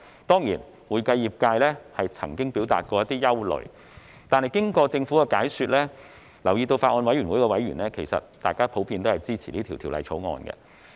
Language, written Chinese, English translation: Cantonese, 當然，會計業界曾表達一些憂慮，但經過政府的解說後，我留意到法案委員會的委員普遍支持《條例草案》。, Of course the accounting profession has expressed some concerns but as I have noted members of the Bills Committee in general support the Bill after the Governments explanation